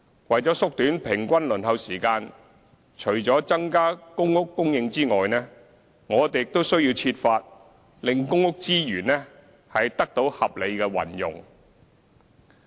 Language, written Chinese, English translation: Cantonese, 為縮短平均輪候時間，除了增加公屋供應外，我們亦需要設法令公屋資源得到合理運用。, In order to shorten the average waiting time apart from increasing PRH supply it is also necessary for us to endeavour to ensure the rational use of precious PRH resources